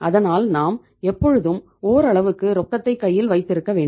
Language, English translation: Tamil, So we have to keep the certain amount of cash ready all the times